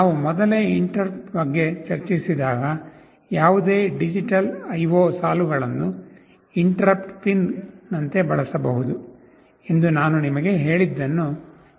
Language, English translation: Kannada, When we discussed interrupts earlier, you recall I told you that any of the digital IO lines can be used as an interrupt pin